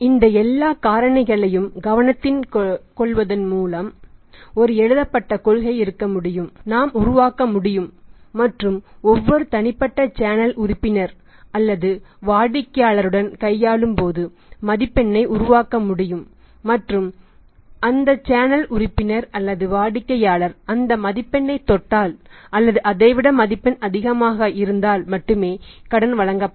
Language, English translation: Tamil, By taking into consideration all these factors there is one policy written policy can be can we can be created and the score can be worked out while dealing with each and every individual channel member or the customer and if that channel member of the customer touches the score or cross is at score then only the credit will be granted otherwise if it is less than that then no credit will be granted to the customer or that number of the channel of distribution